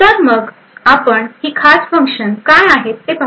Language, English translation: Marathi, So, we will first look at what these special functions are